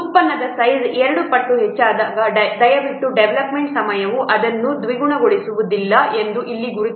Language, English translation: Kannada, When the product size increases two times, please mark here the development time does not double it